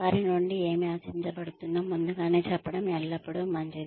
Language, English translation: Telugu, It is always nice to tell them ahead of time, what is expected of them